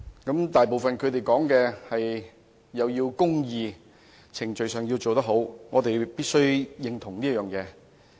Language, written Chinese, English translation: Cantonese, 他們大部分都說要有公義，在程序上要做得好，我們必須認同這點。, Most of them have talked about justice and proper procedure to which we certainly agree